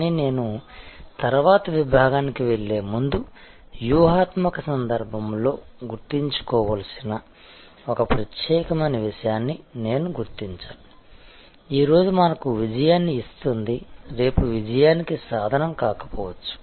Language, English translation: Telugu, But, when before I progress to the next section, I must highlight one particular point to remember in the strategic context, that what gives us success today, may not be the tool for success tomorrow